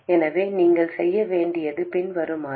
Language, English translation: Tamil, So, what you have to do is the following